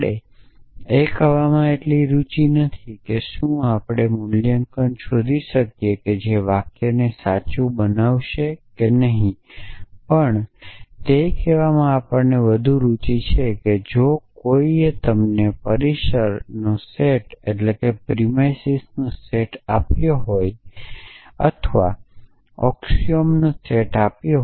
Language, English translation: Gujarati, Essentially, we are not so much interested in saying can we find the valuation which will make the sentence true or not we are more interested in saying that if somebody has given you a set of premises or a set of axioms